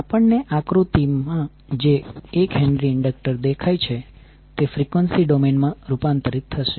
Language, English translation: Gujarati, So what will happen, the 1 henry inductor which we see in the figure will be converted into the frequency domain